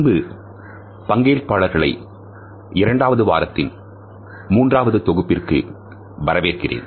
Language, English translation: Tamil, Welcome dear participants to the third module of the second week